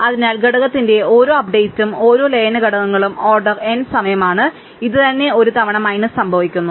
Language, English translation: Malayalam, So, each update of the component, each merging components that it is order n time and this itself happens n minus 1 times